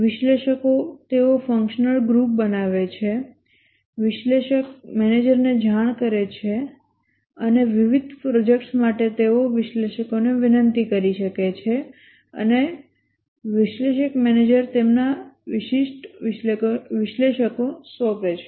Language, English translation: Gujarati, The analysts, they form a functional group, report to the analyst manager and for different projects they may request analysts and the analyst manager assigns them specific analysts